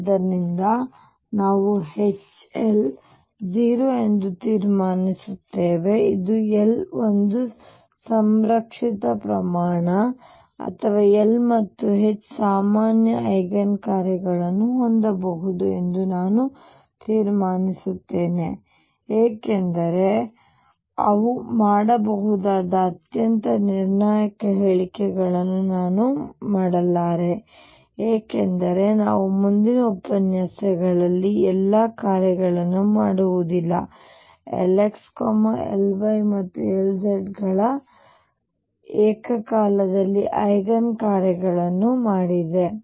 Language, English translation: Kannada, So, we conclude that H L is 0 which implies that L is a conserved quantity or L and H can have common eigen functions I am not making a very definitive statements that they do they can because we see in the next lecture that all functions cannot be made simultaneously eigen functions of L x, L y and L z